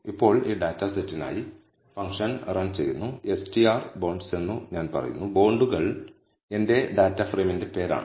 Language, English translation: Malayalam, Now for this dataset, I run the function I say str of bonds now bonds is the name of my data frame